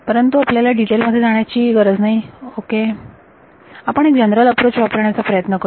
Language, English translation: Marathi, But we need not get into those specifics ok, we will try to give a general approach